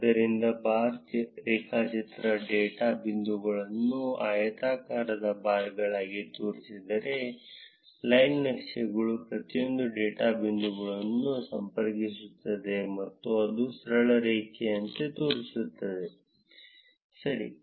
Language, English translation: Kannada, So, while the bar graph shows the data points as a rectangular bars, line charts connects each of the data points and shows it as a straight line, ok good